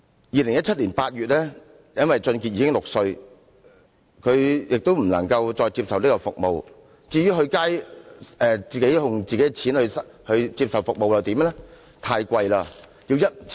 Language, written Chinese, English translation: Cantonese, 2017年8月因為王俊傑已經6歲，他不能再接受這項服務，至於接受自費的服務又如何？, Since WONG already reached the age of six in August 2017 he was no longer eligible to receive this service . What about paid services?